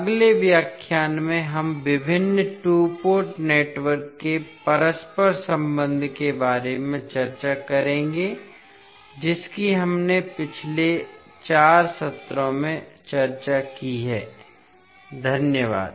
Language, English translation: Hindi, In next lecture we will discuss about the interconnection of various two port networks which we have discussed in last 4 sessions, thank you